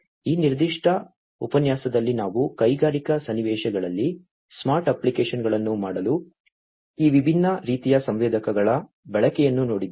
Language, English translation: Kannada, So, in this particular lecture we have seen the use of these different types of sensors for making smart applications in industrial scenarios